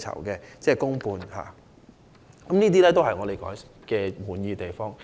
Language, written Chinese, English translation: Cantonese, 以上皆是我們感到滿意的地方。, These are the areas with which we are satisfied